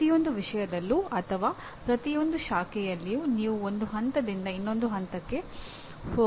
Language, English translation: Kannada, In every subject or every branch you have to go from one point to the other